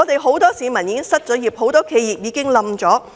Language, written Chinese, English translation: Cantonese, 很多市民已經失業，很多企業亦已倒閉。, Lots of people have already lost their jobs; many businesses have also closed down